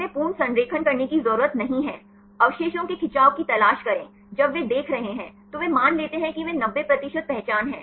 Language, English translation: Hindi, They do not have to do a complete alignment, look for the stretch of residues, when they are seeing, then they assume that they are 90 percent identity